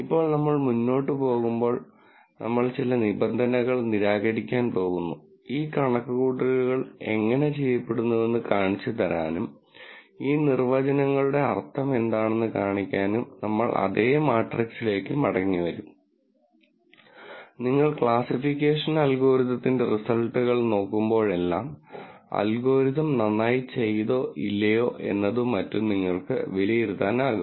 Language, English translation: Malayalam, Now, we are going to de ne some terms as we go along and we will come back to the same matrix to show you how these calculations are done and show you what the meaning of these definitions, the these are so that, whenever you look at the results of another classification algorithm, you are able to kind of judge whether the algorithm did well or not and so on